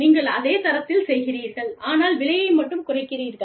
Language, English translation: Tamil, So, you make something of the same quality, but you reduce the price